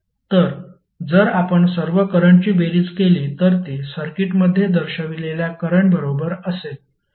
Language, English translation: Marathi, So if you sum up all the currents, it will be equal to current shown in the circuit